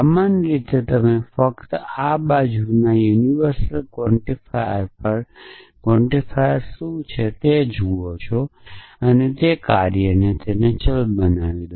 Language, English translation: Gujarati, So, in general you just look at what are the quantifiers on the on this side universal quantifiers on this side and make that variable of function of that